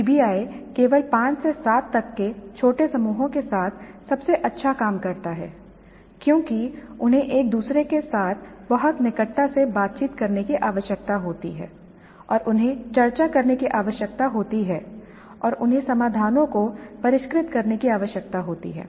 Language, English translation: Hindi, PBI works best only with small groups about 5 to 7 because they need to interact very closely with each other and they need to discuss and they need to refine the solution